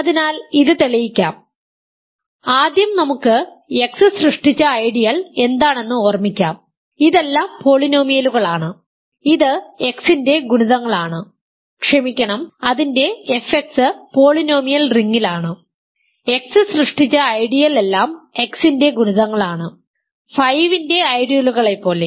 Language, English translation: Malayalam, So let me prove this, first let us recall what is the ideal generated by X, this is all polynomials which are multiples of X sorry its f X is in the polynomial ring, the ideal generated by X is all multiples of X, just like the ideal generated by 5 in the integers is all multiples of 5